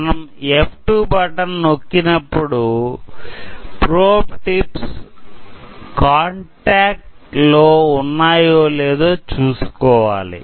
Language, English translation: Telugu, So, I am pressing the F2 button, but at that time we need to make sure that the probe tips are in contact